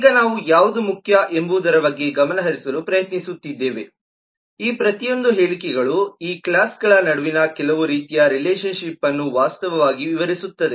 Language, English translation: Kannada, now what is important, what we are trying to focus on now, is each of these statements actually describe some kind of relationship between these classes